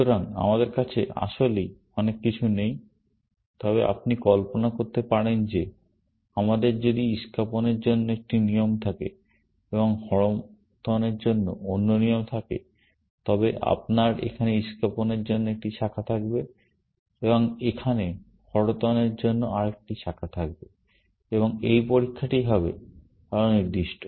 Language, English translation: Bengali, So, we do not really have much, but you can imagine that if we had one rule for spades, and another rule for hearts, then you would have one branch for spades here, and another branch for hearts here, and this test would be more specific